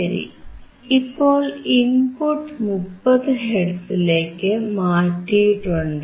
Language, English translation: Malayalam, So, that input is now changed to 30 hertz